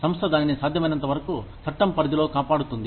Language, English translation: Telugu, The company will defend it, as much as possible, within the purview of the law